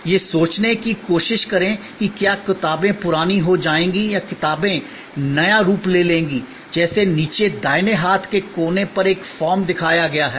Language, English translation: Hindi, Try to think whether books will become obsolete or books will take new form, like one form is shown to you on the bottom right hand corner